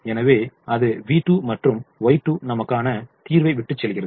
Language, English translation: Tamil, so that leaves me with v two and y two in the solution